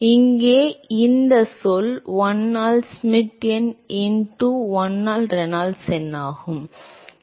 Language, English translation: Tamil, So, this term here is 1 by Schmidt number into1 by Reynolds number